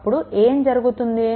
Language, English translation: Telugu, So, then what will happen